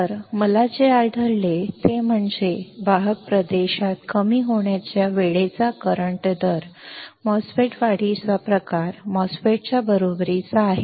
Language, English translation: Marathi, So, what I find is that the in the conduction region, the current rate of a depletion time MOSFET is equal to the enhancement type MOSFET